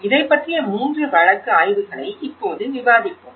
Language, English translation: Tamil, So, the three case studies which we will be discussing now